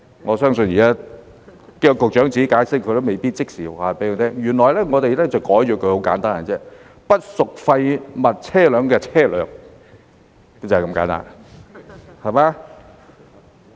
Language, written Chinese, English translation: Cantonese, 我相信現在叫局長解釋，他都未必可以即時告訴我們，原來很簡單，我們把它更改為"不屬廢物車輛的車輛"，就是這麼簡單。, I believe even if we ask the Secretary to explain it to us now he may not be able to tell us right away . It is actually very simple . We proposed to change it to vehicle that is not a waste vehicle